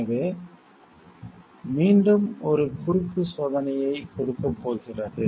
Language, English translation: Tamil, So, that is going to give a cross check again